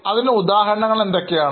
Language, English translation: Malayalam, What are the examples